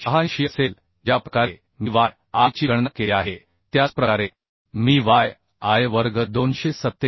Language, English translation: Marathi, 86 the way I have calculated yi in the similar way I can calculate yi square 247